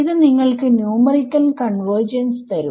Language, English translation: Malayalam, I do numerical convergence